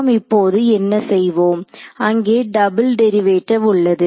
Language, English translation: Tamil, So, what do we do now, there is a double derivative term over there right